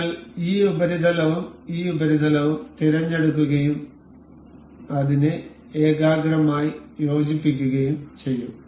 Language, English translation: Malayalam, We will select this surface and this surface, and will mate it up as concentric